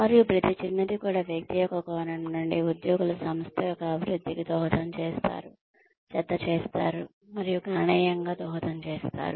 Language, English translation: Telugu, And, every little bit, from the perspective of individual, employees contributes, adds up and contributes significantly, to the development of the organization